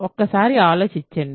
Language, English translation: Telugu, Think about it for a second